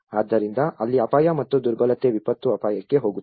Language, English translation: Kannada, So that is where the hazard plus vulnerability is going to disaster risk